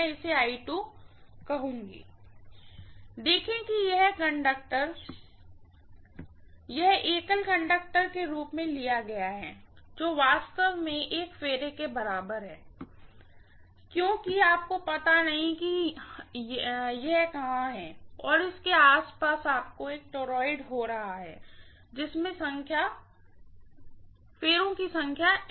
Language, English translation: Hindi, (())(46:35) See this conductor is taken as one single conductor, which is actually equivalent to one turn, because return you do not know where it is and around that you are having a toroid which have N number of turns, right